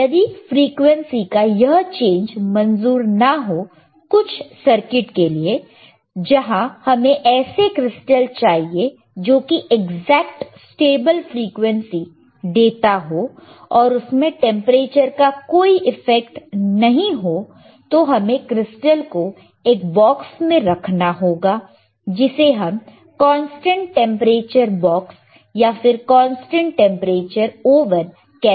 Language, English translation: Hindi, , bBut if that much also change in frequency is also not acceptable in some of the circuits, where we require the crystal to give us exact frequency, stable frequency, and there should be no effect of temperature, then we haved to keep the crystal in a box called the called the cConstant tTemperature bBox or cConstant tTemperature Ooven alright